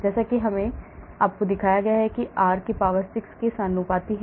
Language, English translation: Hindi, as I showed you here it is proportional to r power 6